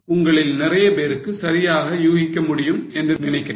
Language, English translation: Tamil, I think most of you are able to guess it correctly